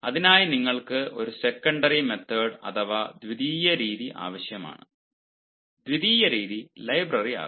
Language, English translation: Malayalam, for that you require a secondary ah method, and the secondary method can be library